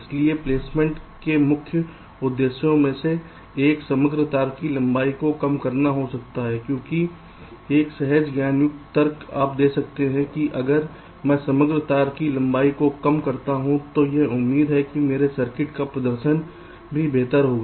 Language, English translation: Hindi, so one of the main objectives of placement may be to reduce the overall wire length, because one intuitive argument you can give that if i minimize the overall wire length it is expected that the performance of my circuit will also improve